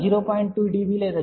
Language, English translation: Telugu, 2 db or even 0